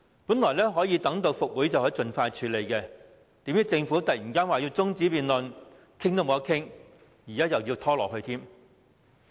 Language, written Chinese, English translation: Cantonese, 本以為復會後《條例草案》可獲盡快處理，殊不知政府忽然要求休會待續，連辯論也不能，又要繼續拖延。, What was formerly branded a new curb measure has now become an old curb measure . The Bill should have been dealt with expeditiously after the recess but the Government to our surprise has abruptly requested that its debate be adjourned further delaying the legislative process